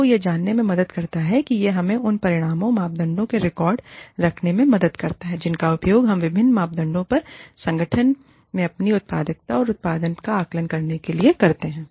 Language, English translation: Hindi, It helps us, you know, it helps us keep records of the quantified parameters, that we use, to assess our productivity and output, in the organization, on different parameters